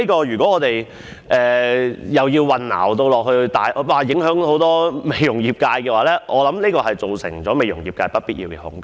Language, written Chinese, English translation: Cantonese, 若我們就此產生混淆，會大為影響美容業界，造成業界不必要的恐懼。, Any confusion about this will greatly affect the beauty industry creating unnecessary fear in the trade